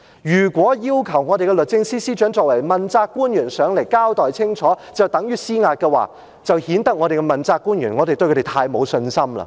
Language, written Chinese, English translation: Cantonese, 如果要求律政司司長作為問責官員前來立法會交代清楚，就等於施壓，便顯得我們對問責官員太沒有信心。, If calling the Secretary for Justice as an accountable official to give a clear explanation in the Legislative Council was tantamount to exertion of pressure our accountable officials would seem to have too little confidence